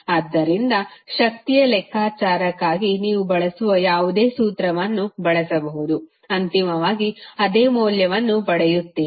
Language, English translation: Kannada, So, you can use any formula which you want to use for calculation of power, you will get the same value eventually